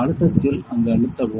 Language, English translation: Tamil, In this pressure press there